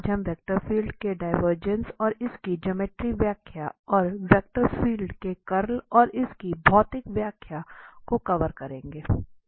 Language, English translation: Hindi, So, today we will cover the divergence of the vector field and it's geometrical interpretation, also the curl of a vector field and again its physical interpretation